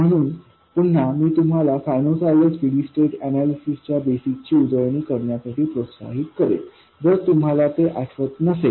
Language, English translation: Marathi, So again I would encourage you to refresh the basics of sinusoidal steady state analysis if it is not familiar to you